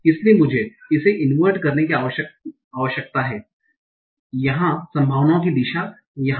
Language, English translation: Hindi, So I need to invert the direction of the probabilities here